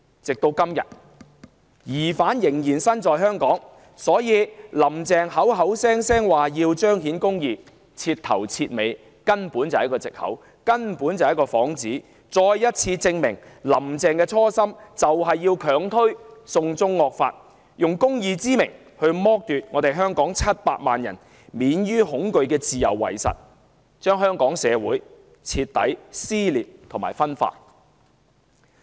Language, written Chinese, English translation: Cantonese, 直到今天，疑犯仍然身在香港，可見"林鄭"經常掛在口邊的"彰顯公義"根本是徹頭徹尾的藉口、幌子，亦再次證明"林鄭"的初心是強推"送中惡法"，假公義之名剝奪香港700萬人免於恐懼的自由，令香港社會徹底撕裂和分化。, The presence of the suspect in Hong Kong to this day makes a complete mockery of the excuse or pretext of upholding justice constantly repeated by Carrie LAM . It also bears testimony again to the original intent of Carrie LAM of unrelentingly pushing through the draconian China extradition law and use justice as a pretext to strip 7 million Hongkongers of their freedom from fear hence resulting in utter dissension and polarization of Hong Kong society